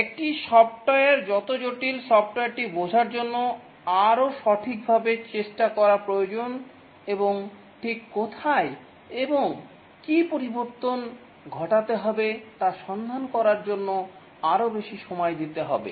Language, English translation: Bengali, The more complex is a software, the more time effort is necessary to understand the software and find out where exactly and what change needs to occur